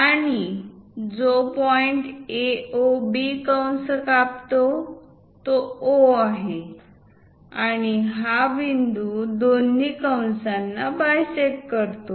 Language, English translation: Marathi, And the point through which it cuts A, O, B arc is O, and this is the point which bisect both the arcs